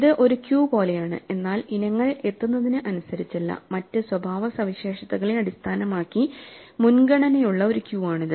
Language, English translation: Malayalam, This is like a queue, but a queue in which items have priority based on some other characteristic not on when they arrived